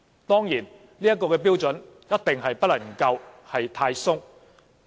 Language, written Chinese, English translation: Cantonese, 當然，這個標準一定不能夠太寬鬆。, Certainly such standards cannot be too lax